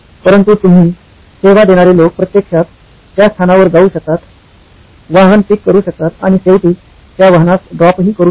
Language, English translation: Marathi, But you, the servicing people can actually go to the location, pick up the vehicle and drop it off at the end